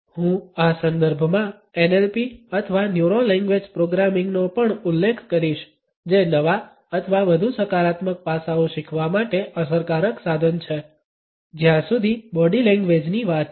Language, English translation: Gujarati, I would also refer to NLP or Neuro Linguistic Programming in this context which is an effective tool as for as learning new or more positive aspects of body language is concerned